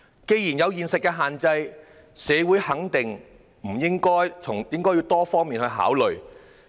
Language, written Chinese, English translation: Cantonese, 既然有現實的限制，社會是否願意從多方面考慮？, Given the limitations in real life is society willing to make consideration from more perspectives?